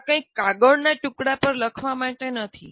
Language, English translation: Gujarati, This is not just some something to be written on a piece of paper